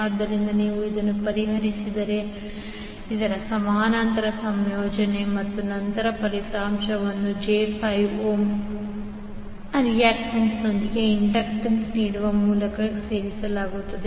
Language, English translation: Kannada, So, if you solve this, the parallel combination of this and then the result is added with j 5 ohm reactance offered by the inductance you will get Zth as 2